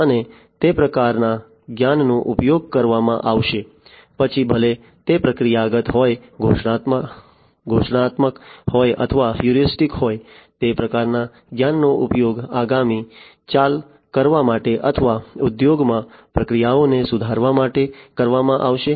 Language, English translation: Gujarati, And, that kind of knowledge will be used whether it is procedural, declarative or, heuristic, that kind of knowledge is going to be used to make the next move or, to improve the processes in the industries